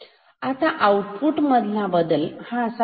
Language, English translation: Marathi, Now, how will the output change